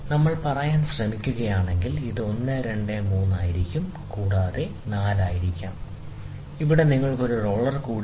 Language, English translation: Malayalam, So, here what we are trying to say is we are trying to say, so this is 1, 2, may be 3and may be 4, right and, ok so you have one more roller here